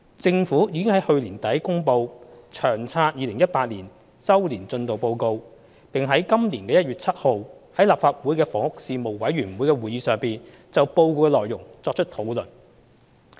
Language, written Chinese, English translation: Cantonese, 政府已在去年年底公布《長策》2018年周年進度報告，而報告的內容已在今年1月7日的立法會房屋事務委員會會議上作出討論。, The Government published the Long Term Housing Strategy Annual Progress Report 2018 at the end of last year . The report was discussed at the meeting of the Panel on Housing of the Legislative Council held on 7 January this year